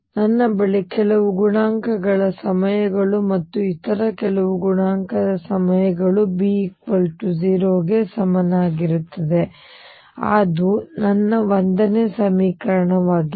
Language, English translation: Kannada, I have some coefficients times a plus some other coefficient times B is equal to 0; that is my equation 1